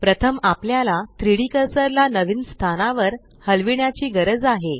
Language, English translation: Marathi, First we need to move the 3D cursor to a new location